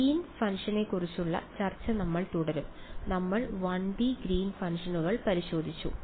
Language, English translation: Malayalam, We will continue our discussion about Green’s function; we have looked at 1 D Green’s functions ok